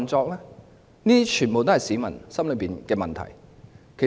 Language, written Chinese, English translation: Cantonese, 這些全都是市民心中的問題。, These are the questions in peoples minds